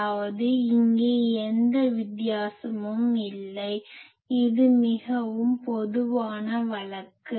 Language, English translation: Tamil, That means, here also no difference; that means, this was the most general case